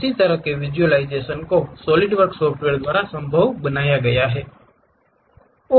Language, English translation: Hindi, Such kind of visualization is polished possible by Solidworks software